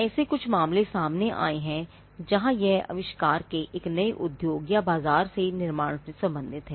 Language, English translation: Hindi, And there has been certain cases where, it has been inventions have been related to the creation of a new industry or a market